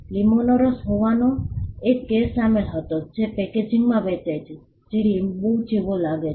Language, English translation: Gujarati, There was a case involving a lemon juice which was sold in a packaging that look like a lemon